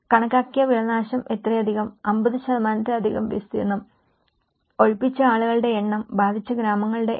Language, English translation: Malayalam, So, you can say that estimated crop loss this much, area more than 50%, number of people evacuated, number of villages affected